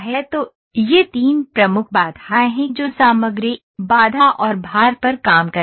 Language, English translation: Hindi, So, these are the major three constraints that will work on material, constraint, and load